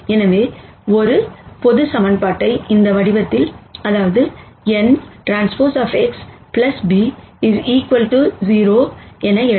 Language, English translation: Tamil, So, a general equation can be written in this form n transpose X plus b equals 0